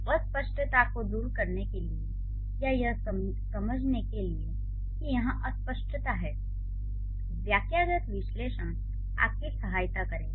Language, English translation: Hindi, So, to remove the ambiguity or to understand that there is an ambiguity here, syntactic analysis is going to help you